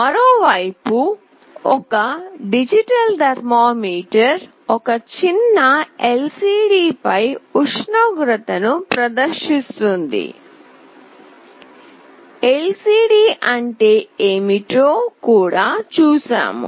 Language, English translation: Telugu, On the other hand, a digital thermometer displays the temperature on a tiny LCD; we have also seen what an LCD is